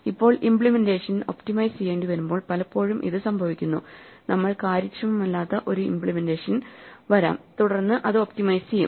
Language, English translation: Malayalam, Now this is often the case when we need to optimize implementation, we might come up with an inefficient implementation and then optimize it